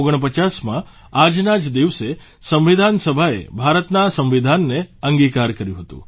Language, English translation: Gujarati, It was on this very day in 1949 that the Constituent Assembly had passed and adopted the Constitution of India